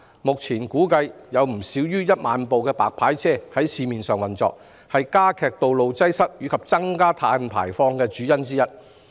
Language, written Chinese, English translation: Cantonese, 目前市面上估計有不少於1萬部"白牌車"營運，這是加劇道路擠塞及增加碳排放的主因之一。, At present no less than 10 000 illegal hire cars are estimated to be operating on the market . This is one of the main causes for the aggravation of road congestion and increase of carbon emissions